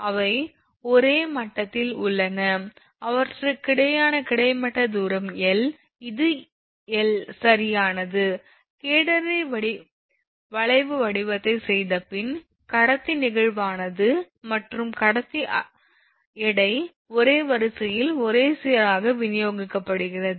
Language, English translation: Tamil, So, they are at the same level that is an horizontal distance between them is capital l this is capital l right, takes the form of catenary curve providing the conductor is perfectly flexible and conductor weight is uniformly distributed along it is line